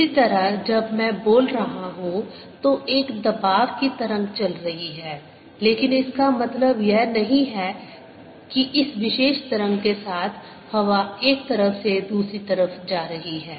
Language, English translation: Hindi, similarly, when i am speaking, there is a pleasure wave that is going, but does not mean that air is moving from one side to the other